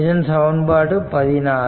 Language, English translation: Tamil, So, this is equation 13